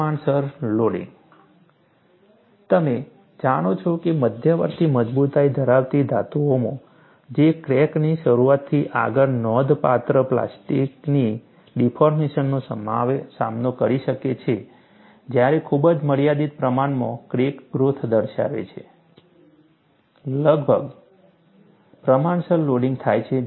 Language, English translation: Gujarati, You know, in intermediate strength metals, that can withstand substantial plastic deformation beyond crack initiation while exhibiting very limited amounts of crack growth, nearly proportional loading occurs